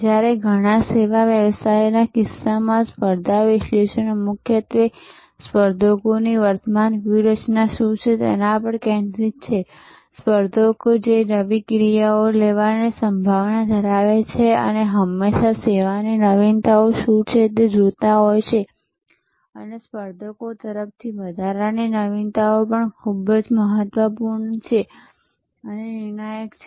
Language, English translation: Gujarati, Whereas, in case of many services businesses, the competition analysis is mainly focused on what are the current strategies of the competitors, the new actions that competitors likely to take and always looking at what are the service innovations and even incremental innovations from competitors are very crucial and therefore, you need to constantly track them